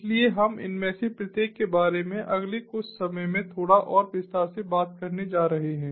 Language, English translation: Hindi, so we are going to talk about each of these in slightly more detail in the next little while